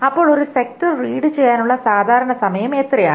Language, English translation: Malayalam, Now what is the typical time to read one sector